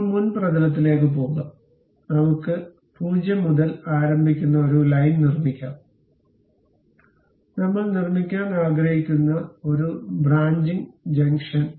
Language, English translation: Malayalam, Now, go to front plane, let us construct a line beginning with 0, a branching junction we would like to construct